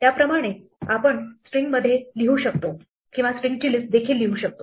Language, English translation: Marathi, Similarly, we can either write a string or we write a list of strings too